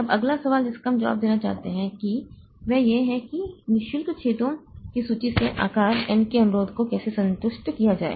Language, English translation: Hindi, Now, the next question that we would like to answer is how to satisfy a request of size n from a list of free holes